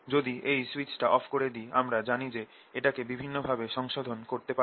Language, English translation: Bengali, now if i switch it off, i know if i can modulate in many different ways